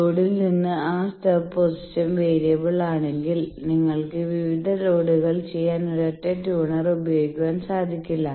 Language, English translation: Malayalam, So, changing this problem that from the load that stub position if it is variable then you cannot have a single tuner to tune various loads